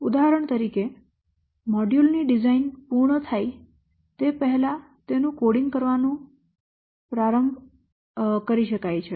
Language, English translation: Gujarati, It is possible, for example, to start coding a module before its design has been completed